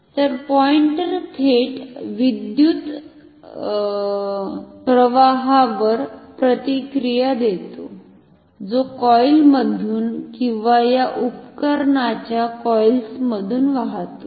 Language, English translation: Marathi, So, the pointer responds directly to the current which is flowing through the coil or the coils of these instruments